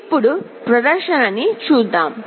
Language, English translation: Telugu, Let us look at the demonstration now